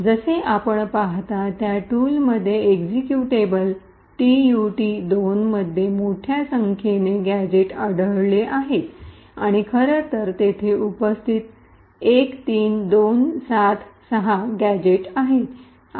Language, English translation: Marathi, So, as you see the tool has found a large number of gadgets present in the executable tutorial 2 and in fact there are like 13,276 gadgets that are present